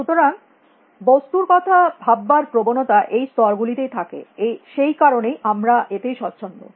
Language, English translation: Bengali, So, we tend to think of objects at these scales; that is why we are comfortable with this